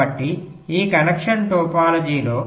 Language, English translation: Telugu, ok, now on this connection topology